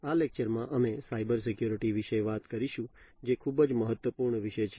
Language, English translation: Gujarati, In this lecture, we will talk about Cybersecurity, which is a very important topic